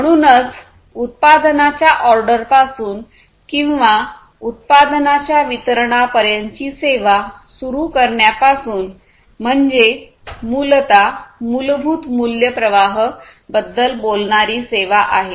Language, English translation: Marathi, So, basically starting from the ordering of the product or the service to the delivery of the product or the service is what the value stream basically talks about